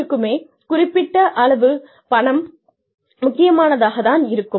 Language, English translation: Tamil, Some amount of money is important for everybody